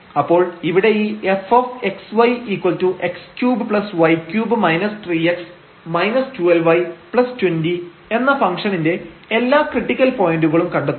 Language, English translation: Malayalam, So, we here we will find all the critical points of this function f x y is equal to x cube plus y cube minus 3 x minus 12 y and plus 20